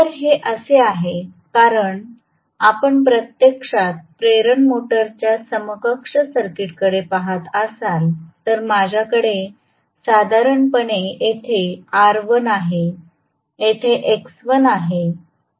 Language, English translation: Marathi, So, this is because if you actually look at the equivalent circuit of the induction motor, I normally have r1 here, x1 here